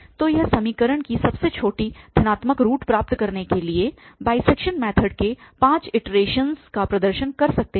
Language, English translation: Hindi, So, we can perform here five iterations of the bisection method to obtain the smallest positive root of the equation